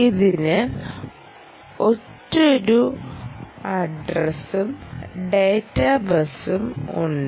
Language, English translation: Malayalam, right, you have a single address and data bus instructions